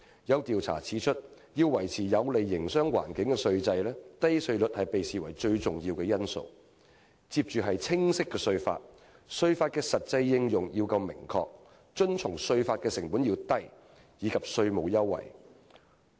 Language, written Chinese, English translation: Cantonese, 有調查指出，要維持有利營商環境的稅制，"低稅率"被視為最重要的因素，其他因素依次為"清晰的稅法"、"稅法的實際應用夠明確"、"遵從稅法的成本低"，以及"稅務優惠"。, According to a relevant study low tax rates are regarded as the most important factor for maintaining a tax system that helps enhance the business environment to be followed by clear tax laws certainty in the practical application of tax laws low compliance costs and targeted incentives